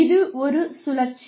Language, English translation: Tamil, So, it is a cycle